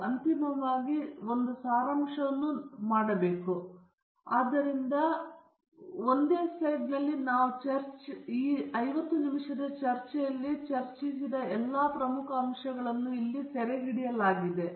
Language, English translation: Kannada, And finally, you need to make a summary which is what we have done here; so, that in this single slide all the major aspects that we discussed in the 50 minutes of this talk are all captured here